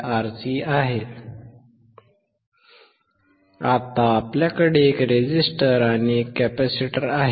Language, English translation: Marathi, Now, we have one resistor and one capacitor